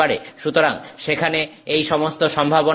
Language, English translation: Bengali, So, all these possibilities are there